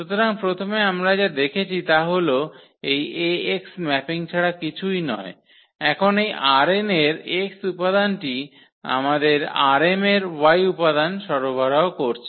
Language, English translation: Bengali, So, first what we have seen that this Ax is nothing but it is a mapping now the element this x which was from R n and it is giving us an element in this y in this R m